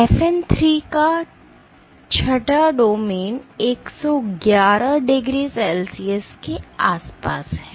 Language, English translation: Hindi, The 6 domain of FN 3 is around 111 degree celsius ok